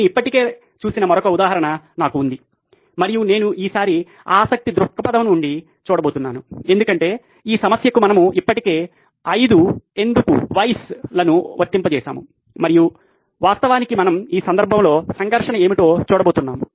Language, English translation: Telugu, I have another example that we’ve already looked at and I am going to look at it from, this time from a conflict of interest perspective, because we have already applied 5 whys to this problem and we are actually going to see what is the conflict in this case